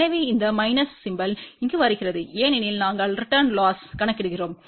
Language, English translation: Tamil, So, this minus sign is coming over here because we are calculating return loss